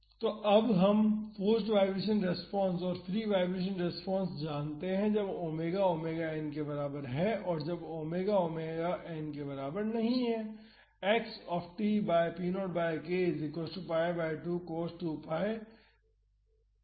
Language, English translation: Hindi, So, now, we know the forced vibration response and the free vibration response for omega is equal to omega n and omega not equal to omega n